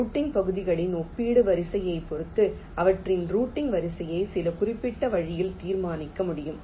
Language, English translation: Tamil, depending on the relative order of the routing regions, their order of routing can be determined in some particular way